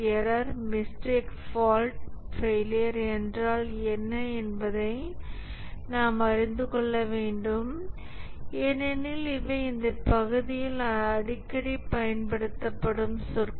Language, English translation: Tamil, And therefore, we must know what is a error, mistake, fault, failure, because these are the terms that are frequently used in this area